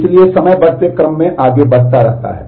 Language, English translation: Hindi, So, time goes in the increasing order